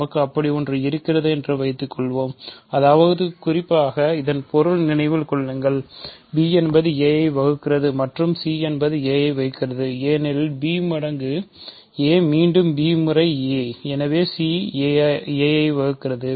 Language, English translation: Tamil, Suppose, we have such a thing; that means, in particular remember that means, b divides a and c divides a, because b times is a, b divides a, again b times is a, so c also divides a